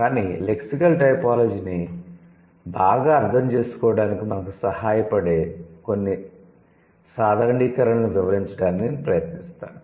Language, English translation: Telugu, But I'll try to cover up at least some generalizations which could be, which could, which would help us to understand lexical typology better